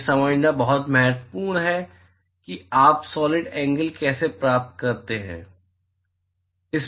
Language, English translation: Hindi, It is very very important to understand how you get the solid angle